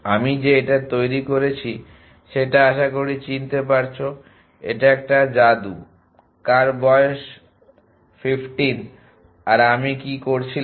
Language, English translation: Bengali, That I created this you recognize this it is a magic who some is 15 and what I was doing